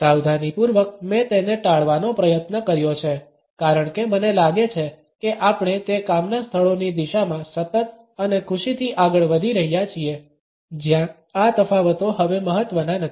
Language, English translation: Gujarati, Meticulously I have tried to avoid it because I feel that we are consistently and happily moving in the direction of those work places where these differences are not important anymore